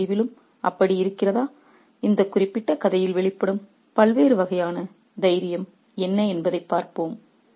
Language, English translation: Tamil, And what are the different kinds of courage that are manifested in this particular story